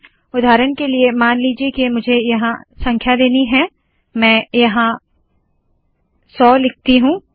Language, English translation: Hindi, For example, suppose I want to give numbers here, let me just put hundred, let me put 100